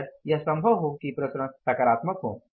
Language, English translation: Hindi, Largely it may be possible the variances are positive